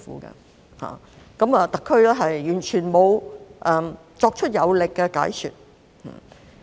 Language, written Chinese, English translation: Cantonese, 然而，對此，特區完全沒有作出有力的解說。, Nevertheless in this regard the SAR fails completely to provide any convincing explanation